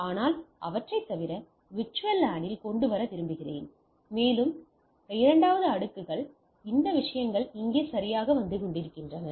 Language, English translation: Tamil, But I want to bring them in separate VLAN and that the within the layer 2 this things are coming up here right